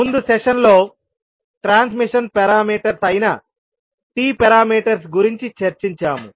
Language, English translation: Telugu, And then in the last session we discussed about the T parameters that is transmission parameters